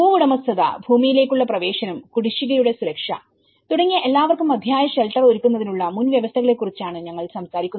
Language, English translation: Malayalam, Land tenure, we talk about the access to land and security of tenure which are the prerequisites for any provision of adequate shelter for all